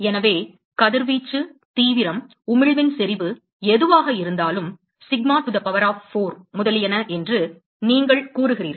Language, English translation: Tamil, So, you say that radiation, whatever the intensity, emission intensity, is sigma T to the power of 4, etcetera etcetera